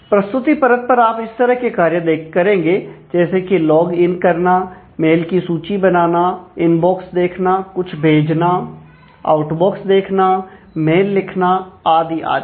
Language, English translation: Hindi, So, at the presentation layer you will do things like, log in, mail list, view inbox, sent item, outbox so on, mail composer